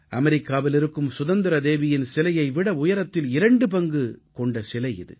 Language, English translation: Tamil, It is double in height compared to the 'Statue of Liberty' located in the US